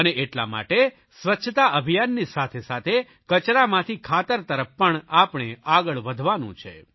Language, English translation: Gujarati, It is, therefore, imperative that we need to move towards 'Waste to Compost' along with the Cleanliness Mission